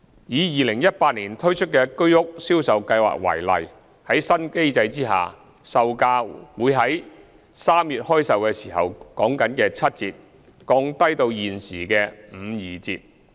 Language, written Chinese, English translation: Cantonese, 以2018年推出的居屋銷售計劃為例，在新的定價機制下，售價會從3月開售時的七折降低到現時的五二折。, In the case of the sale scheme of HOS flats launched in 2018 the selling prices under the new pricing mechanism will be lowered from 70 % of market values as determined in March when the scheme was launched to 52 % of market values